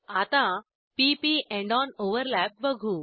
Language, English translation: Marathi, Now to p p end on overlap